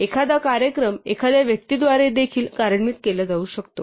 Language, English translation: Marathi, A program could also be executed by a person